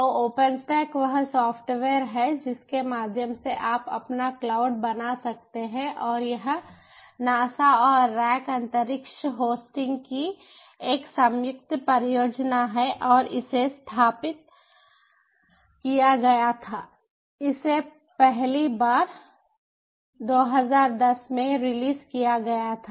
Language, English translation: Hindi, so open stack is a software through which you can generate your own cloud and it is a joint project of the nasa and the ah rackspace hosting and it was ah established in